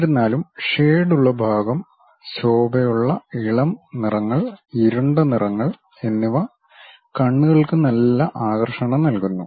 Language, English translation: Malayalam, Although, the shaded portion like bright, light colors, dark colors this kind of things gives nice appeal to eyes